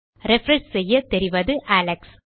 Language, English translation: Tamil, Refresh and you can see Alex